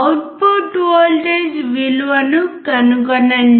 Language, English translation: Telugu, Find out the value of the output voltage